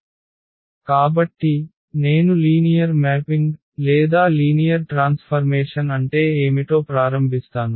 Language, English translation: Telugu, So, let me start with what is linear mapping or linear transformation